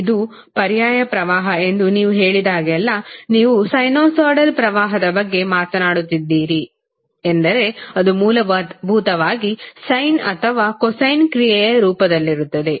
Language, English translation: Kannada, So, whenever you say that this is alternating current, that means that you are talking about sinusoidal current that would essentially either in the form of sine or cosine function